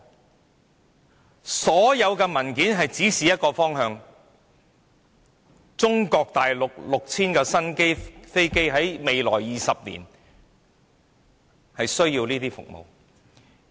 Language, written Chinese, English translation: Cantonese, 就此，其實所有文件也是指示一個方向，就是中國大陸這 6,000 架新飛機在未來20年需要的服務。, In this connection all papers are in fact pointing towards the same direction the service needed by these 6 000 new aircraft in Mainland China in the next 20 years